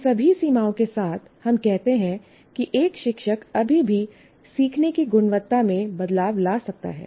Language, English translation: Hindi, So with all these limitations, we claim or we say a teacher can still make a difference to the quality of learning